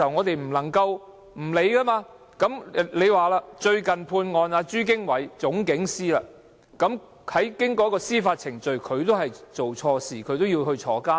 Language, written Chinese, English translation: Cantonese, 最近被判有罪的朱經緯是總警司，經過司法程序，證明他做錯事，他也被判入獄。, Police Superintendent Franklin CHU has recently been convicted through judicial proceeding of some wrongdoings and has been sentenced to imprisonment